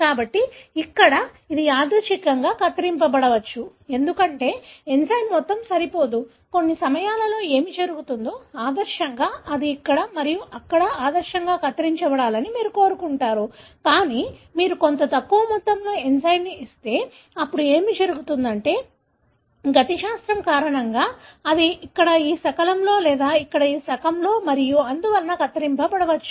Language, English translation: Telugu, So here, it might randomly cut, because the amount of enzyme is insufficient, at times what happens, ideally you would like that it would cut here and here; but, if you give somewhat lesser amount of enzyme, then what happens, because of the kinetics, it may cut here in this fragment or here in this fragment and so on